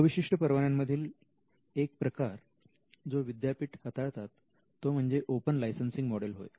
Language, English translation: Marathi, In the non exclusive licenses one of the models that universities can explore is the open licensing model